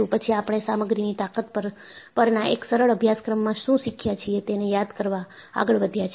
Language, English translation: Gujarati, Then, we moved on to a review, what we have learnt in a simple course on strength of materials